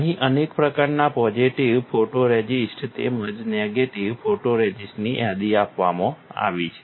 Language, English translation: Gujarati, There are several kind of positive photoresist as well as negative photoresist which are listed here